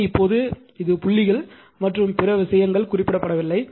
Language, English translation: Tamil, So, if you now this is actually what dots and other things not mentioned